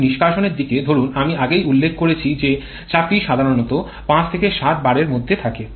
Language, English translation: Bengali, Whereas on the exhaust side say I have mentioned the pressure typically ranges from 5 to 7 bar